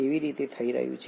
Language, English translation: Gujarati, How is that happening